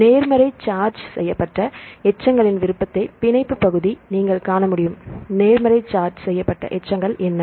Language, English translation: Tamil, So, here we have that the binding region you can see the preference of positive charged residues right, what are the positive charged residues